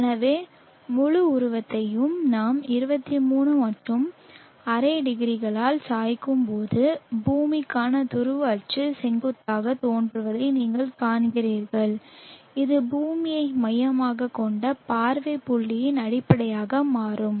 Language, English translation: Tamil, So when we till the entire figure by 23 and half degrees you see that the polar ax for the earth appears vertical and this will become the base is for the earth centric view point